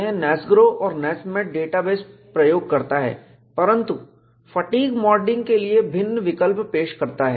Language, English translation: Hindi, It uses the data base NASMAT of NASGRO, but offers, different options for modeling fatigue